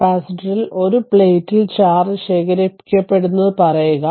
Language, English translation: Malayalam, So, we can say that that the charge accumulates on one plate is stored in the capacitor